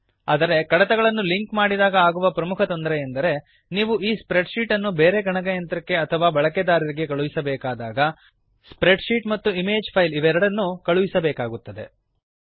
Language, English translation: Kannada, However, one major Disadvantage of linking the file is that, Whenever you want to send this spreadsheet to a different computer or user, You will have to send both, the spreadsheet as well as the image file